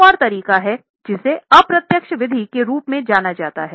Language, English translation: Hindi, There is another method which is known as indirect method